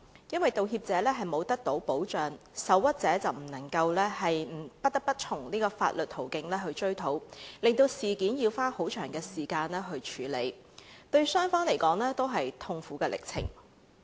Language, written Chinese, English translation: Cantonese, 因為道歉者未能得到保障，受屈者便不得不從法律途徑追討，令事件要花很長時間處理，對雙方都是痛苦歷程。, When the person intending to give an apology is not protected under the law the person aggrieved can have no option but to lodge a claim by legal means leading to a really lengthy process which prolongs both sides pain